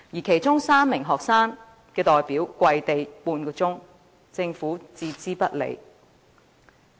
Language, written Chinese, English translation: Cantonese, 其中，有3名學生代表跪地半小時，政府卻置之不理。, During the time three student representatives sank to their knees for half an hour yet the Government gave no regard to them